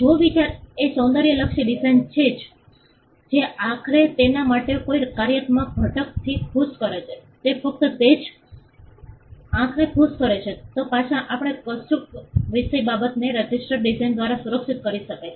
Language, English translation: Gujarati, If the idea is an aesthetic design a design that pleases the eye with no functional component to it, it is just that it pleases the eye then we say that subject matter can be protected by a register design